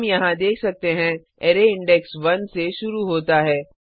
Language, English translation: Hindi, We can see here the array index starts from one